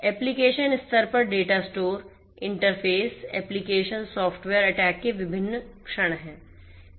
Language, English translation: Hindi, At the application level data stores, interfaces, application software are there which are like different points of attack